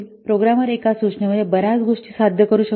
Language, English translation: Marathi, In one instruction, the programmer may achieve several things